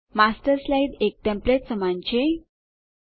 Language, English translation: Gujarati, The Master slide is like a template